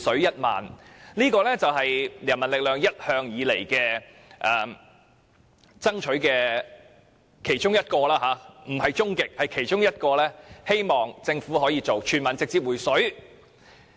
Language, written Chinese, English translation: Cantonese, 人民力量一向以來爭取的其中一個目標——不是終極目標——是希望政府可以全民直接"回水"，還富於民。, One of the objectives of People Power though not the ultimate objective is to make the Government deliver a direct cash handout to all the people returning wealth to them